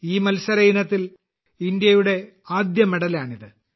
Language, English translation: Malayalam, This is India's first medal in this competition